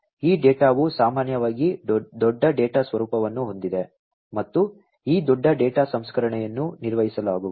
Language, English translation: Kannada, These data are typically of the nature of big data and this big data processing is going to be performed